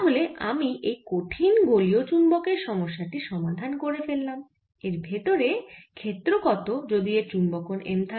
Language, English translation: Bengali, so i have solved this problem of a hard spherical magnet, what the field should be inside if it has magnetization m, also height here